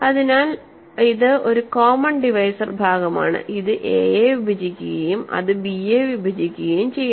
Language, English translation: Malayalam, So, this is a common divisor part, it divides a and it divides b